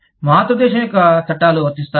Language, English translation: Telugu, Will the laws of the parent country, apply